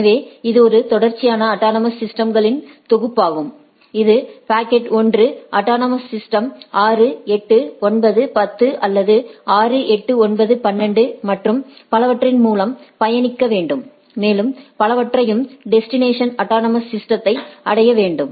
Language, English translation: Tamil, So, it is a sequential set of autonomous systems like I say that the packet 1 should travel by autonomous system 6, 8, 9, 10 or 6, 8, 9, 12 and so and so forth to reach the destination autonomous system